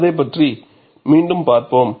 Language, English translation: Tamil, We will again have a look at that